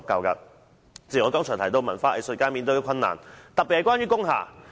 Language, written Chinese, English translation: Cantonese, 主席，我剛才提及文化藝術界所面對的困難，特別是關於工廈。, President just now I mentioned the difficulties encountered by the cultural and arts sector especially those related to industrial buildings